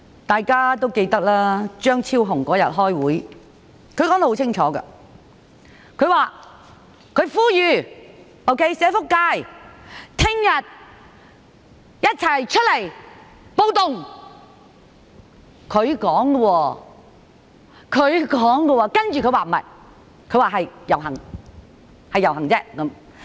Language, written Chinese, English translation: Cantonese, 大家也記得，張超雄議員當天開會時說得很清楚，他呼籲社福界翌日一起出來"暴動"，這是他說的，接着他說不對，是"遊行"而已。, Members may remember that Dr Fernando CHEUNG clearly appealed to the social welfare sector at the meeting on that day to join the riot . That was the term he used but then he corrected himself and said that he was only referring to a procession